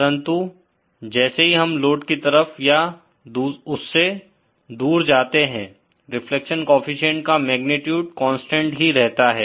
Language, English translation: Hindi, But as we move away or towards the load, the magnitude of the reflection coefficient remains constant